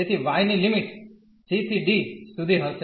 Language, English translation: Gujarati, So, the limits of y will be from c to d